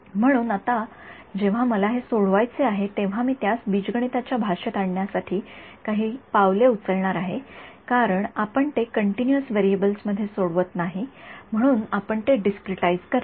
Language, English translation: Marathi, So now, when I want to solve it, I am going to make a few steps to get it into the language of linear algebra right because we do not solve it in continuous variables we discretize it